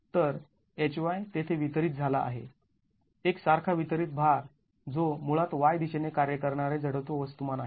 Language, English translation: Marathi, So, HY, there is a distributed, uniformly distributed load which is basically the inertial mass acting in the Y direction